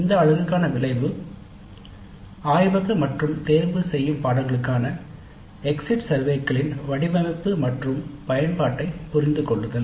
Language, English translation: Tamil, So the outcome for this unit is understand the design and use of exit surveys for laboratory and elective courses